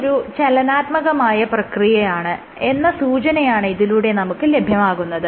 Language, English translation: Malayalam, So, this shows that this is a dynamic process